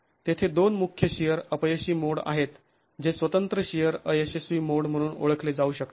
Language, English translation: Marathi, There are two major shear failure modes that can be identified as independent shear failure modes